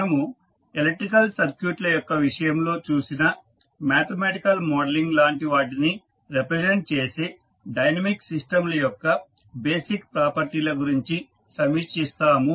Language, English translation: Telugu, We will review the basic properties of these dynamic systems which represent the similar mathematical models as we saw in case of electrical circuits